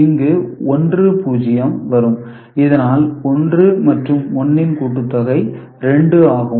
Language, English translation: Tamil, So, this 1 0 over here is 1 plus 1, which is 2